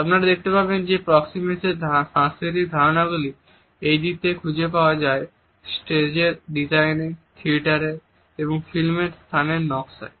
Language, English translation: Bengali, You would find that these aspects of our cultural understanding of proxemics are also carried over to the way space is designed in stage, in theatre and in film